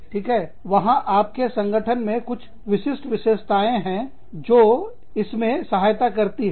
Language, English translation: Hindi, And, there are some special characteristics, within your organization, that help with this